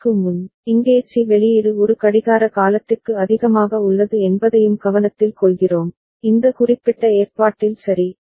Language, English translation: Tamil, And before that, we also take note that here C output is remaining at high for one clock period, in this particular arrangement ok